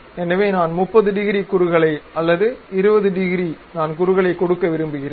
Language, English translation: Tamil, So, I am going to give some 30 degrees taper, maybe some 20 degrees taper I would like to give